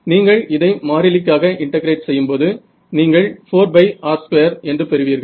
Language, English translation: Tamil, So, when you integrate this for constant I mean over you will get 4 pi r square which is a surface area right